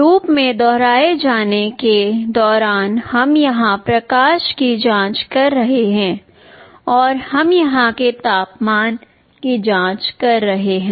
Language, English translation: Hindi, In a repetitive while loop we are checking the light here, we are checking the temperature here